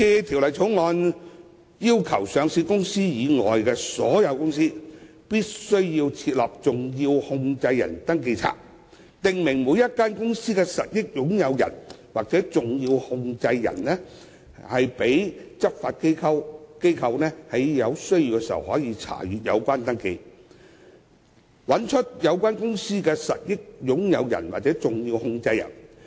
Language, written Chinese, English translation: Cantonese, 《條例草案》要求上市公司以外的所有公司均須備存登記冊，訂明每間公司的實益擁有人或重要控制人，讓執法機構在有需要時查閱，以找出有關公司的實益擁有人或重要控制人。, The Bill requires all companies with the exception of listed companies to keep a SCR of its beneficial owners or significant controllers and make it available for inspection by law enforcement agencies when necessary to identify such people or entities of the companies concerned